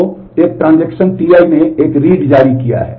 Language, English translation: Hindi, So, a transaction T i has issued a read